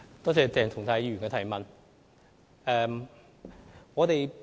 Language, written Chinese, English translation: Cantonese, 多謝鄭松泰議員提出補充質詢。, I thank Dr CHENG Chung - tai for the supplementary question